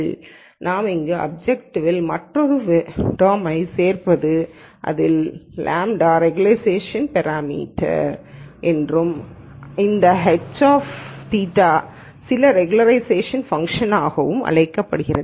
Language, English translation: Tamil, So, what we do here is we add another term to the objective and lambda is called the regularization parameter and this h theta is some regularization function